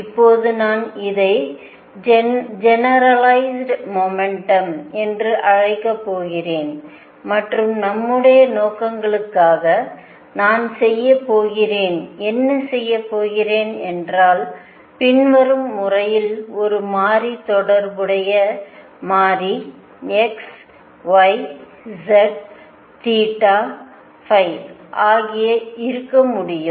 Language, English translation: Tamil, Now I am going to call this generalized momentum and for our purposes for our purposes what I am going to do is define it in the following manner corresponding to a variable that variable could be x, y, z theta, phi